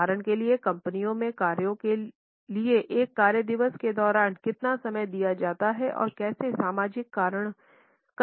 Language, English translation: Hindi, For example how much time is given during a work day to the company tasks and how much time is given to socializing